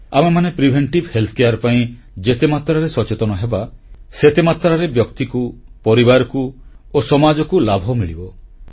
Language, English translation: Odia, And, the more we become aware about preventive health care, the more beneficial will it be for the individuals, the family and the society